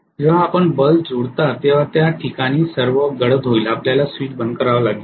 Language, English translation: Marathi, When it matches your bulbs will be all dark at that point you have to close the switch